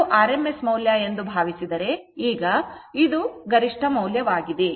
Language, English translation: Kannada, Now this one if you think that your rms value this is the peak value